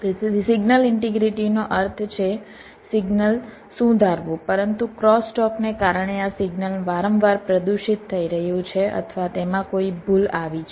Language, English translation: Gujarati, so signal integrity means the signal what is suppose to be, but because of crosstalk this signal is getting frequency polluted or there is some error introduced there in